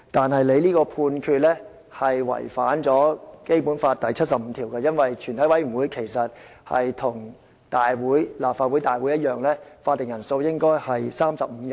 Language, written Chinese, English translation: Cantonese, 然而，你這個判決違反了《基本法》第七十五條，因為全體委員會其實跟立法會大會一樣，法定人數應該是35人。, However your ruling contravenes Article 75 of the Basic Law for a committee of the whole Council is in fact the same as the Legislative Council and its quorum should be 35 Members